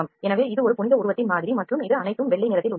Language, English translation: Tamil, So, this is the model of a holy figure and this is all in white color